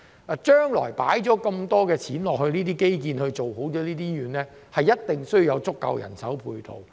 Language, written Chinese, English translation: Cantonese, 投放了這麼多金錢在基建做好醫院，將來一定要有足夠的人手配套。, Having invested so much money in infrastructure to develop hospitals there must be sufficient manpower to support them in the future